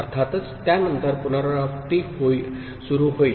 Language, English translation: Marathi, Of course, after that it will, repetition will start